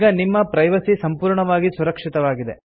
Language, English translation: Kannada, your privacy is now completely protected